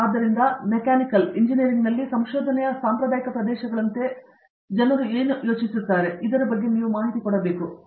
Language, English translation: Kannada, So, what do you think what people would think as traditional areas of research in Mechanical Engineering